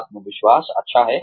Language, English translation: Hindi, Confidence is good